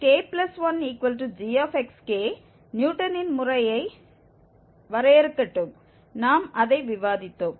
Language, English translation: Tamil, So, let this xk plus 1 is equal to g xk defines the Newton's method, we had just discussed that